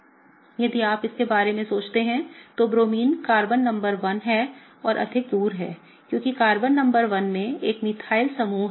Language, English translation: Hindi, If you think about it, Bromine being further away from Carbon number 1 is kind of okay, because Carbon number 1 has a methyl group on it